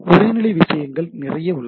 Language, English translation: Tamil, So, lot of text level things are there